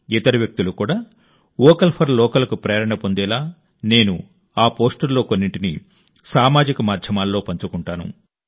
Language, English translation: Telugu, I will share some of those posts on Social Media so that other people can also be inspired to be 'Vocal for Local'